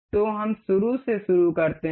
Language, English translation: Hindi, So, let us begin from the start